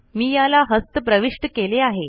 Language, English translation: Marathi, I entered this manually